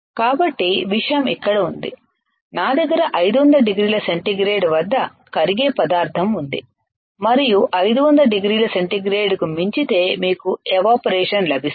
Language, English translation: Telugu, So, the point is here I have a material which can be melted at 500 degree centigrade and beyond 500 degree centigrade you will get evaporation right